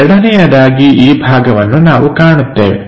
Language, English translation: Kannada, Second this part, this part we will see